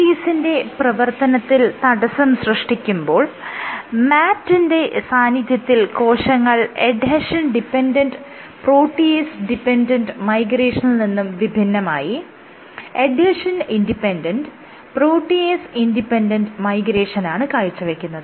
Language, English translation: Malayalam, Here you have MAT, when you inhibit MMPs the cells transition from adhesion dependent, protease dependent, to adhesion independent, protease independent migration